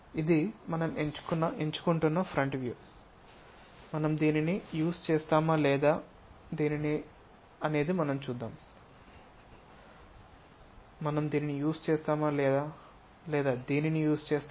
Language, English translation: Telugu, This is the front view we are picking whether this one we would like to use or this one we would like to use, we will see